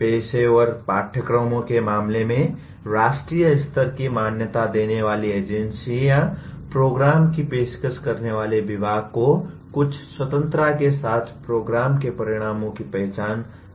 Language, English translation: Hindi, In the case of professional courses, the national level accrediting agencies identify the program outcomes with some freedom given to the department offering the programs